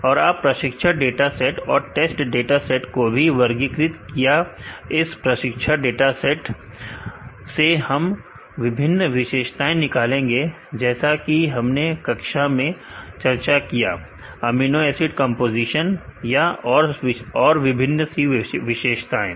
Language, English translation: Hindi, And you classified additional training and test dataset and, from this training dataset we need to extract different features, as we discussed in the class like the amino acid composition, or different properties